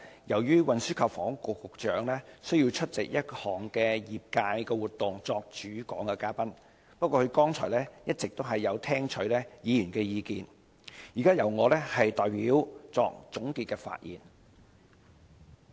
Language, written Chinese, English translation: Cantonese, 由於運輸及房屋局局長需要出席一項業界活動作主講嘉賓，現在由我代作總結發言，不過他剛才一直有聆聽議員的意見。, As the Secretary for Transport and Housing being the keynote speaker has to attend a trade event I will now give these concluding remarks for him . But he has been listening to Members views earlier